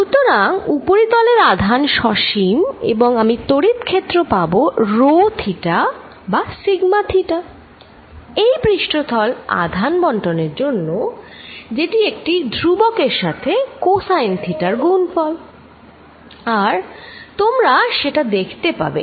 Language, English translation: Bengali, So, that the charge on the surface remains finite I will get the electric field due to a surface charge distribution rho theta or sigma theta which is some constant times cosine of theta and you will see that